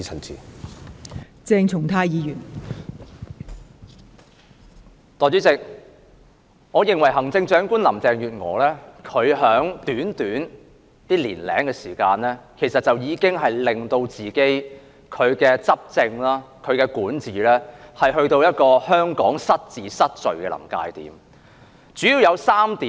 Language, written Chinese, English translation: Cantonese, 代理主席，我認為行政長官林鄭月娥在短短一年多時間內，已經令其執政及管治，去到一個使香港失治、失序的臨界點。, Deputy President I believe within the short span of a year or so the administration and governance by Chief Executive Carrie LAM has taken Hong Kong to the verge of misrule and disorder